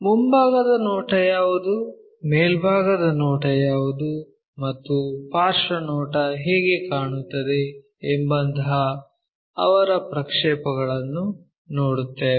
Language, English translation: Kannada, Look at their projections like what is the front view, what is the top view, and how the side view really looks like